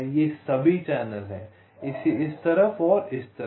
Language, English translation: Hindi, these are all channels